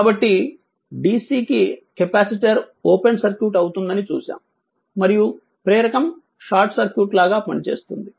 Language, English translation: Telugu, So, for and for DC ah we have seen that capacitor ah acts as a open circuit and ah for the inductor it will act as a short circuit right